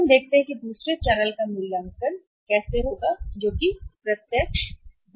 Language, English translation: Hindi, Then we see the valuation of second channel that is the direct marketing